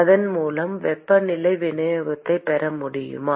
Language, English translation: Tamil, Can I get the temperature distribution with this